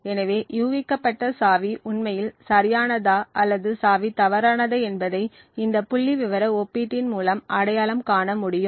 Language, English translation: Tamil, So, if the guessed key is indeed correct this statistical comparison would be able to identity if the guessed key is indeed correct or the key is wrong